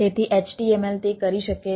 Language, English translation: Gujarati, so it is simple, unlike html